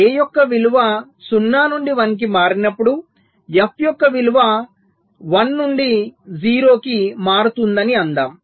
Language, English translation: Telugu, so lets say, when the value of a switches from zero to one, lets say, the value of f will be switching from one to zero